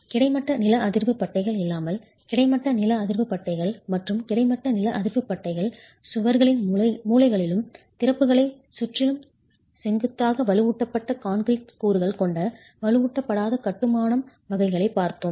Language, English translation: Tamil, Okay, we looked at unreinforced masonry category without the horizontal seismic bands with horizontal seismic bands and with horizontal seismic bands and vertical reinforced concrete elements at corners of walls and around the openings